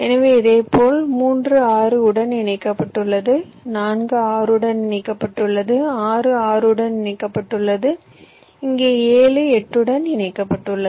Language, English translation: Tamil, so, similarly, say, three is connected to six, four is connected to six and six is connected to seven, and here seven is connected to eight, this one